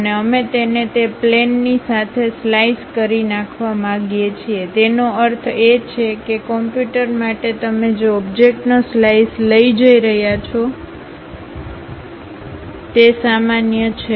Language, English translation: Gujarati, And, we would like to slice this along that plane; that means, normal to the computer you are going to take a slice of that object